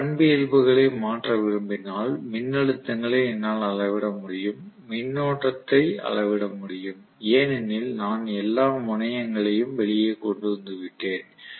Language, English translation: Tamil, If I want to modify the characteristics, I can measure the voltages, I can measure the currents because I have brought out the all the terminals